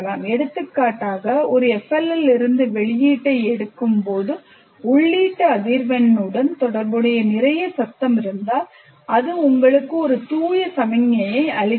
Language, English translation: Tamil, For example, if there is a lot of noise associated with the input frequency, when I take the output from an FLL, it gives you a pure signal